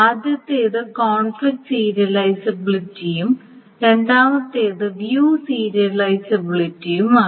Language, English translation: Malayalam, First is the conflict serializability and the second is the view serializability